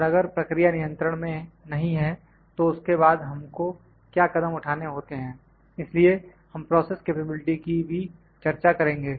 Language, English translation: Hindi, And if the process is not in control what step do will follow that after that so, process capability also we will discuss